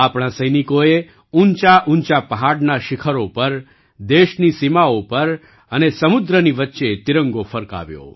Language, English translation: Gujarati, Our soldiers hoisted the tricolor on the peaks of high mountains, on the borders of the country, and in the middle of the sea